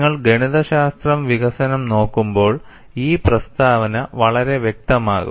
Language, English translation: Malayalam, When you look at the mathematical development, this statement would become quite clear